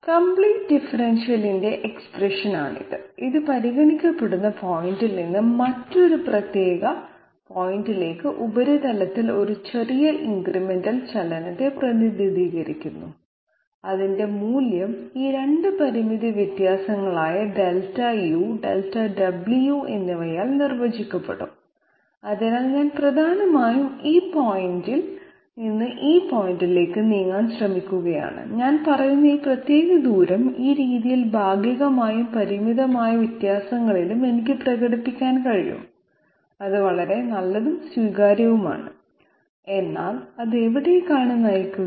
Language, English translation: Malayalam, This is a very standard you know expression of the complete differential and it represents a small incremental movement along the surface from the point under consideration to another particular point whose value would be defined by these 2 finite differences Delta u and Delta w, so I am essentially trying to move from this point to this point and I am saying that this particular distance that I am covering, I can express it in terms of the partials in this manner, partials and finite differences in this manner that is all quite good, acceptable, but where does it lead to